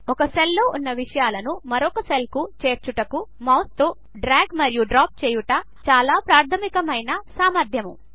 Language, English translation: Telugu, The most basic ability is to drag and drop the contents of one cell to another with a mouse